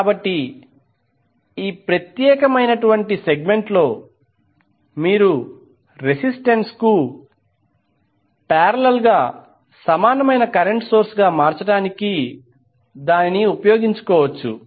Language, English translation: Telugu, So this particular segment you can utilize to convert into equivalent current source in parallel with resistance